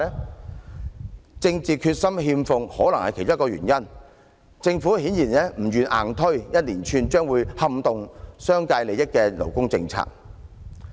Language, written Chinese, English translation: Cantonese, 缺乏政治決心可能是其中一個原因，政府顯然不願硬推一連串撼動商界利益的勞工政策。, A lack of political determination can be one of the underlying reasons . The Government is obviously reluctant to force through a series of labour policies that may undermine business interests